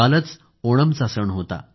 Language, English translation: Marathi, Yesterday was the festival of Onam